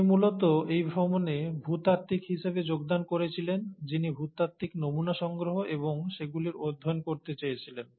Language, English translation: Bengali, He essentially joined this voyage as a geologist who wanted to collect geological specimens and study them